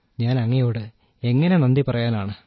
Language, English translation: Malayalam, And how can I thank you